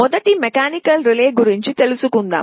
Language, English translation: Telugu, First let us talk about mechanical relay